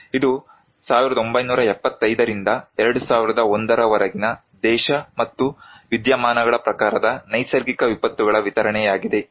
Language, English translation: Kannada, This one is the distribution of natural disasters by country and type of phenomena from 1975 to 2001